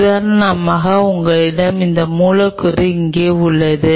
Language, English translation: Tamil, For example, you have this molecule out here